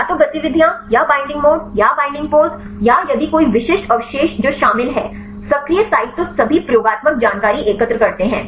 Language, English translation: Hindi, Either the activities or the binding mode or the binding pose or if any specific residues which are involved in the active sites collect all the experimental information as possible